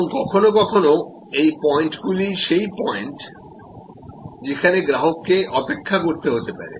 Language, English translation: Bengali, And sometimes these are also this points are the same as the point, where the customer may have to wait